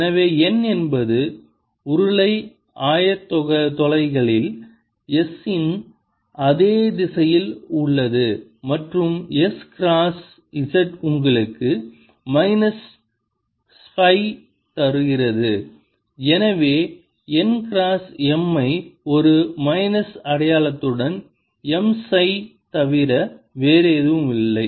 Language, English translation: Tamil, so m ah, n is in the same direction as s in the cylindrical coordinates and s cross z gives you minus phi and therefore n cross m with a minus sign is nothing but m phi